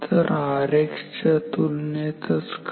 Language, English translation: Marathi, So, R X is 10 by